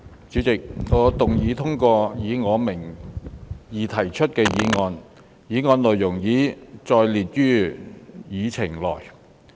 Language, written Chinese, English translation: Cantonese, 主席，我動議通過以我名義提出的議案，議案內容已載列於議程內。, President I move that the motion under my name as printed on the Agenda be passed